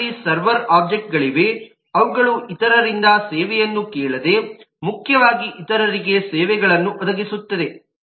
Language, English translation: Kannada, we have server objects who would predominantly provide services to others without asking from service from others